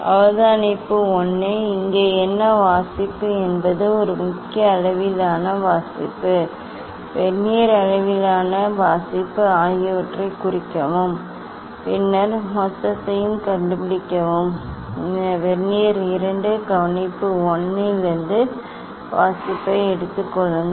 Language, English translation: Tamil, observation 1, what is the reading here one should note down main scale reading, vernier scale reading and then find the total, then take the reading from Vernier 2 observation 1 take the reading